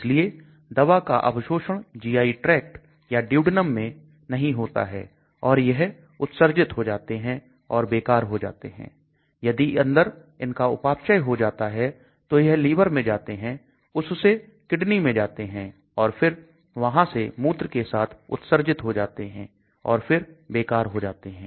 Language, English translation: Hindi, So the drug does not get absorbed in the GI tract or the duodenum it gets excreted it is a waste ; and again inside if there is a metabolism and then it goes liver to kidney and then drug again gets excreted through urine again that is a waste